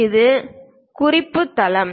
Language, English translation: Tamil, This is the reference base